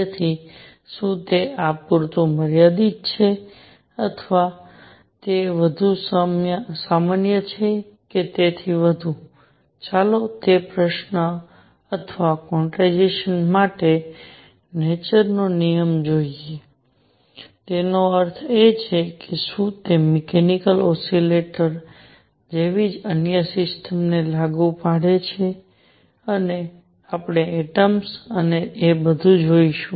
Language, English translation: Gujarati, So, is it limited to this or is it more general or so, let us see that question or is quantization a law of nature and; that means, does it apply to other systems like mechanical oscillators and we will see atoms and all that